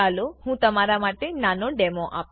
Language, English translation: Gujarati, Let me do a small demo for you